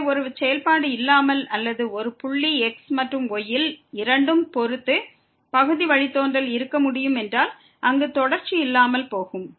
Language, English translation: Tamil, So, if a function can have partial derivative without or with respect to both and at a point without being continuous there